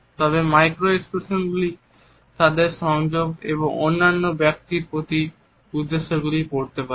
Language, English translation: Bengali, However, in the micro expressions one could read their association and their intentions towards the other people